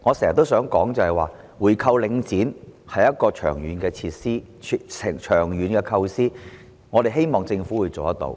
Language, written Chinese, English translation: Cantonese, 所以，我經常說，回購領展是長遠的構思，我們希望政府能夠做到。, This is why I always say that buying back Link REIT is a long - term proposition and we hope that the Government can achieve it